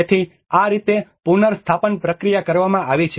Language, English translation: Gujarati, \ \ \ So, this is how the restoration process has been done